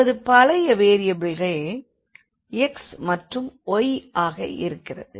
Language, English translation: Tamil, So, our new variables are u and v, the older one here were x and y